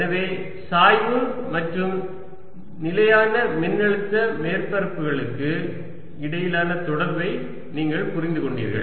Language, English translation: Tamil, so you understood the relationship between gradient and constant potential surfaces